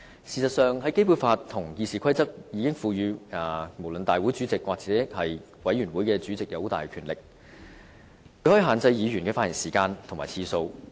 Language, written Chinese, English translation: Cantonese, 事實上，《基本法》和《議事規則》已賦予不論是大會主席或委員會主席很大的權力，他可以限制議員的發言時間和次數。, Actually whether the President of the Council or chairman of any committee they are already given extensive powers under the Basic Law and RoP . They can limit the speaking time of Members and the number of times Members can speak as well